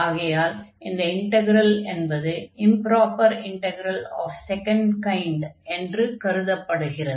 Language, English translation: Tamil, In that case we call this integral improper integral of first kind